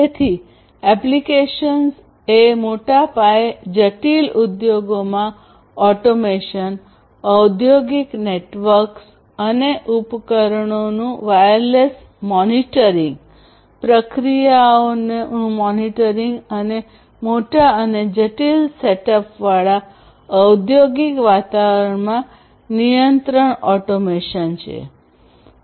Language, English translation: Gujarati, So, applications are automation in large scale complex industries, wireless monitoring of industrial networks and devices, process monitoring and control automation in the industrial environments with large and complex setups, and so on